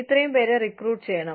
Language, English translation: Malayalam, These many people, should be recruited